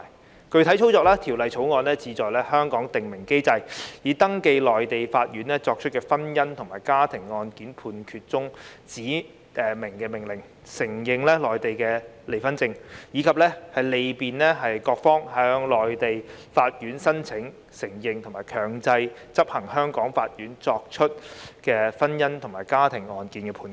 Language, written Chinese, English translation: Cantonese, 在具體操作上，《條例草案》是要在香港訂明機制，以登記內地法院作出的婚姻或家庭案件判決中的指明命令，承認內地離婚證，以及利便各方向內地法院申請承認和強制執行由香港法院作出的婚姻與家庭案件判決。, In actual operation the Bill seeks to establish mechanisms in Hong Kong for the registration of specified orders in judgments given by Mainland courts in matrimonial or family cases for the recognition of Mainland divorce certificates and for facilitating parties in their applications to Mainland courts for the recognition and enforcement of judgments given by Hong Kong courts in matrimonial or family cases